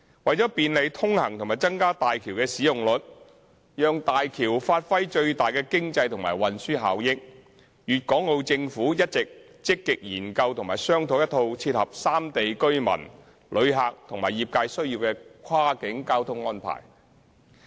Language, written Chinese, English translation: Cantonese, 為便利通行及增加大橋的使用率，讓大橋發揮最大的經濟和運輸效益，粵港澳政府一直積極研究和商訂一套切合三地居民、旅客和業界需要的跨境交通安排。, To facilitate the traffic and enhance the usage of HZMB and maximize the economic and transport benefits of HZMB the Governments of Guangdong Hong Kong and Macao Special Administrative Regions have been actively studying and discussing the cross - boundary transport arrangements to meet the needs of local residents travellers and trades of the three places